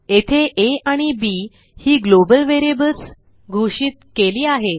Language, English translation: Marathi, Here we have declared two global variables a and b